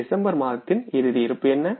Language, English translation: Tamil, What is the closing balance of month of December